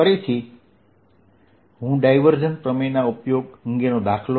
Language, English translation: Gujarati, so let us first take divergence theorem